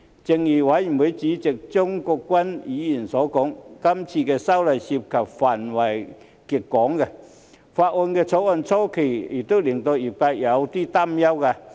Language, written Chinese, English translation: Cantonese, 正如法案委員會主席張國鈞議員所說，這次修例涉及的範圍極廣，《條例草案》草擬初期亦令業界有所擔憂。, As mentioned by the Chairman of the Bills Committee Mr CHEUNG Kwok - kwan the legislative amendments cover a very broad scope and the industry was worried during the initial drafting of the Bill